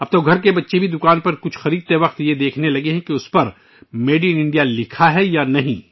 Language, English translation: Urdu, Now even our children, while buying something at the shop, have started checking whether Made in India is mentioned on them or not